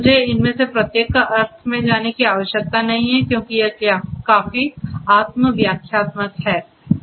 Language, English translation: Hindi, I do not need to go through the meaning of each of these different entities because it is quite self explanatory